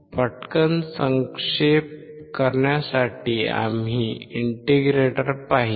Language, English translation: Marathi, To quickly recap; we have seen an integrator